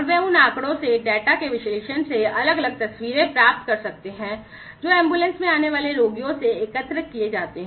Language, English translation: Hindi, And they can get the different pictures from the analysis of the data from the data that are collected by from the patients that are in the ambulances